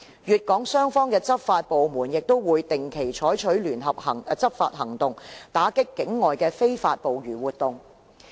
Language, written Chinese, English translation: Cantonese, 粵港雙方的執法部門亦會定期採取聯合執法行動，打擊跨境的非法捕魚活動。, The law enforcement agencies of Hong Kong and Guangdong will take joint enforcement actions on a regular basis to combat illegal cross - border fishing activities